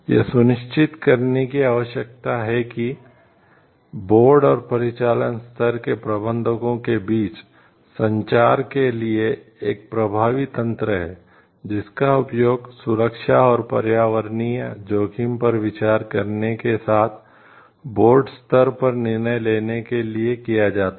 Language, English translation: Hindi, To it needs to be ensured that there is an effective mechanism for communication between the board and the operational level managers in order that the board level decision making, is done with appropriate consideration of the safety and environmental risk